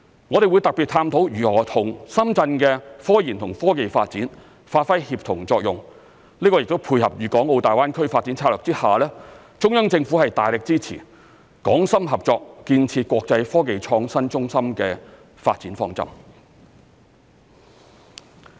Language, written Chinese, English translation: Cantonese, 我們會特別探討如何與深圳的科研與科技發展發揮協同作用，這亦配合粵港澳大灣區發展策略下，中央政府大力支持港深合作建設國際科技創新中心的發展方針。, We will specifically explore ways to achieve synergy with the scientific research and technology developments in Shenzhen so as to dovetail with the development plan of the Central Government to offer strong support for Hong Kong - Shenzhen cooperation in building an international centre for technological innovation under the GBA Development Strategy